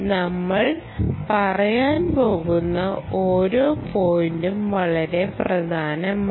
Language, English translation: Malayalam, each and every point that we are going to say are very, very important